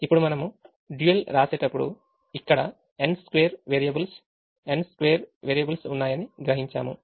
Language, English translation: Telugu, now, when we write the dual, we realize that there are n square variables here, n square variables here